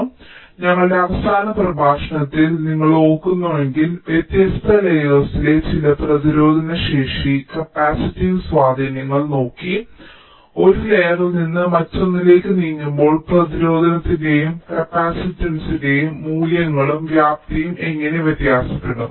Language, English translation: Malayalam, so in our last lecture, if you recall, we looked at some of the resistive and capacitive affects on the different layers and, as we move from one layer to the other, how the values and magnitudes of the resistance and capacitances can vary